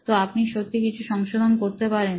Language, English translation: Bengali, So, you can actually make some corrections